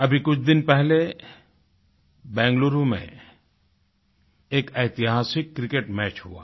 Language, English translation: Hindi, Just a few days ago, a historic Cricket match took place in Bengaluru